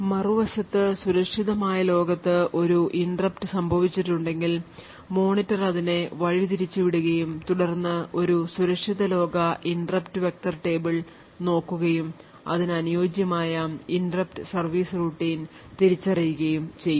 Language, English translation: Malayalam, On the other hand if the interrupt happened to be a secure world interrupt the monitor would then channel that secure world interrupt which would then look at a secure world interrupt vector table and identify the corresponding location for that interrupt service routine